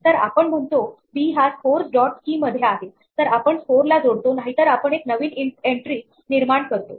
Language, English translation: Marathi, So, we say if b is in the scores, dot keys if we have b as an existing key then we append the score otherwise we create a new entry